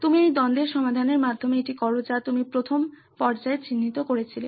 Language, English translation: Bengali, You do this via solving the conflict that you identified earlier stages